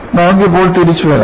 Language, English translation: Malayalam, Now, let us come back